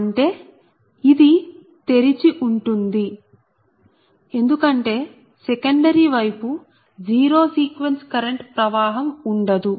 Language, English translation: Telugu, so there is no question of yours, secondary side, zero sequence current will flow